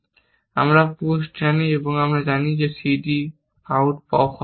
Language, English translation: Bengali, So, we know push, we know pop this c d out